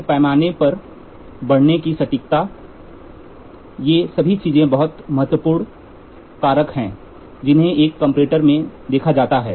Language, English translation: Hindi, Then accuracy of the reading on the scale all these things are very important factors which are to be considered for a comparing comparator